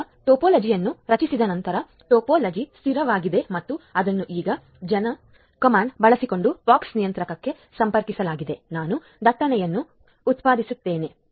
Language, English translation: Kannada, Now after creating the topology, the topology is stable and it is connected to the POX controller now using the command gen so, I will generate the traffic ok